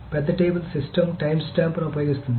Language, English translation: Telugu, So the big table system uses a timestamp